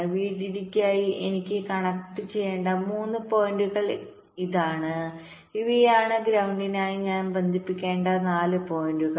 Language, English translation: Malayalam, next, this are the three point i have to connect for vdd and these are the four points i have to connect for ground